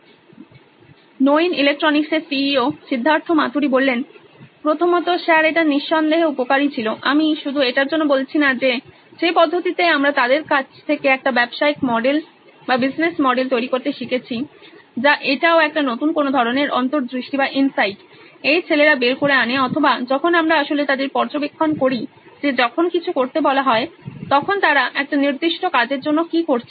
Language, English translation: Bengali, Firstly, Sir it was definitely useful I’d say not just because it’s not what we get to learn from them in the process what we are looking to build a business model on, it’s also a new kind of insights these guys bring out or when we actually observe them what they are doing for a specific task when asked to do